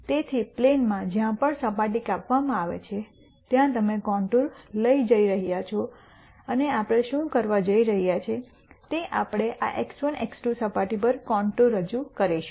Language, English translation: Gujarati, So, on the plane wherever the surface is cut you are going to have a contour and what we are going to do is we are going to project that contour onto this x 1, x 2 surface